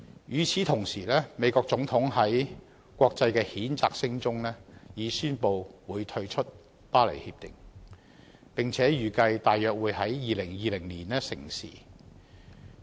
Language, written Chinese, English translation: Cantonese, 與此同時，美國總統在國際譴責聲中已宣布會退出《協定》，並且預計約於2020年成事。, Meanwhile the President of the United States has amidst international condemnation announced the withdrawal of the United States from the Paris Agreement which is expected to take effect in around 2020